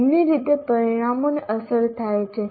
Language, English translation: Gujarati, Both ways the outcomes are affected